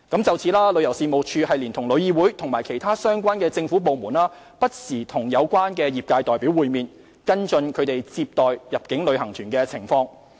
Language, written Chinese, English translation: Cantonese, 就此，旅遊事務署連同旅議會及其他相關政府部門，不時與有關業界代表會面，跟進其接待入境旅行團的情況。, In this connection TC TIC and other relevant government departments have been meeting with representatives of the relevant trade from time to time to follow up arrangements for receiving inbound tour groups